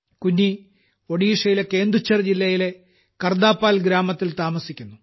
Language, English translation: Malayalam, Kunni lives in Kardapal village of Kendujhar district of Odisha